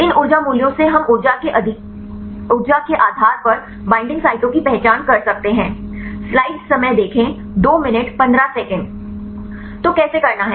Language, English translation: Hindi, From these energy values we can identify the binding sites based on the energy right